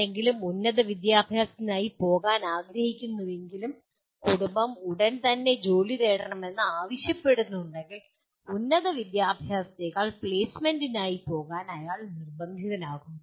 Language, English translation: Malayalam, If somebody wants to go for a higher education but the family requires that he has to go and immediately seek a job, then he is forced to go for placement rather than higher education